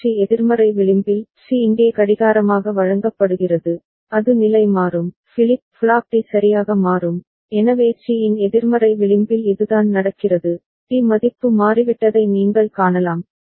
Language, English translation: Tamil, And at the negative edge of C; C is fed as clock here, it will toggle, flip flop D will toggle ok, so that is what is happening at the negative edge of C, you can see that D has changed value